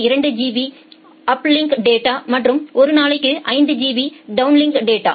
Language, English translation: Tamil, 2 GB of uplink data and 5 GB of downlink data per day